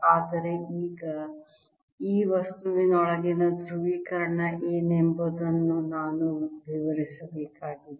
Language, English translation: Kannada, but now i need to relate what the polarization inside this material is